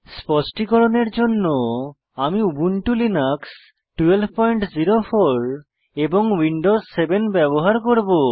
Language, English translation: Bengali, For demonstration purpose, I will be using Ubuntu Linux 12.04 and Windows 7 operating system